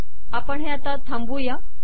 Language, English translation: Marathi, Lets cut this